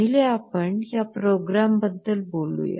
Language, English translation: Marathi, Let us talk about the experiment first